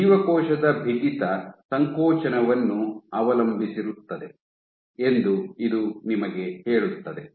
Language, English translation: Kannada, So, this tells you that cell stiffness depends on contractibility